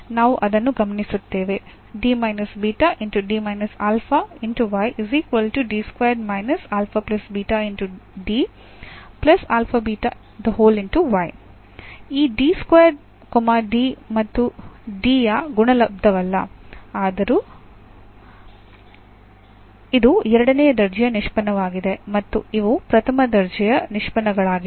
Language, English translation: Kannada, Though this D square is not the product of the D and D it is a second order derivative and these are the first order derivatives